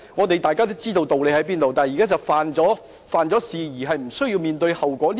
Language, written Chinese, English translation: Cantonese, 大家都知道道理何在，現在是有人犯了法而無須面對後果......, Everybody is aware of the principle but what is happening now is that someone has broken the law without having to face any consequences